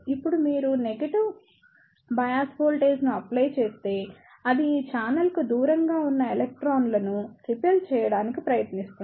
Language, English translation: Telugu, Now, if you apply a negative bias voltage, it will try to ripple the electrons away from this channel